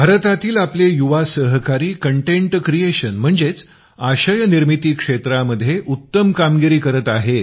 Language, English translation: Marathi, Our young friends in India are doing wonders in the field of content creation